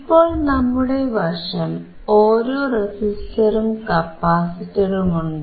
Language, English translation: Malayalam, Now, we have one resistor and one capacitor